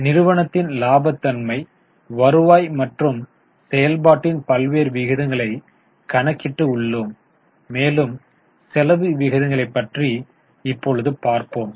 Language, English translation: Tamil, Having calculated variety of ratios of profitability, return as well as the activity, let us have a look at expense ratios